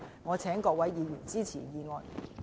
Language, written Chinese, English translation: Cantonese, 謹請各位議員支持議案。, I urge Members to support the motion